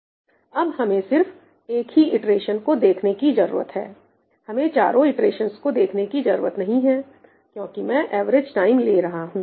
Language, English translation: Hindi, now, we only need to look at one iteration, I do not need to go across four iterations because I am taking the average time, right